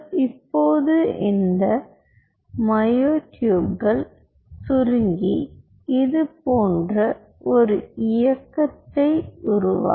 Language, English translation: Tamil, now these myotubes, while will contract, will generate a motion like this